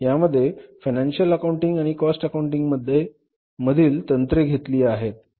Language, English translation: Marathi, It borrows the techniques of financial accounting and the cost accounting